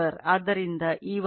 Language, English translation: Kannada, Since, E1 = 4